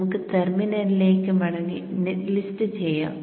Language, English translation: Malayalam, So we go back to the terminal and let me do the net list